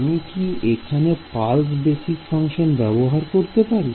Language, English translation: Bengali, Can I use the pulse basis functions